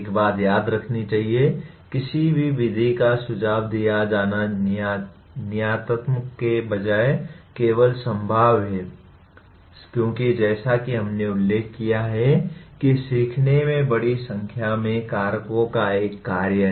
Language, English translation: Hindi, One thing should be remembered, any method that is suggested is only probabilistic rather than deterministic because learning as we noted is a function of a large number of factors